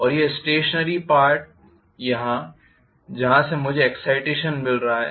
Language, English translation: Hindi, And this as the stationary part from where I am getting the excitation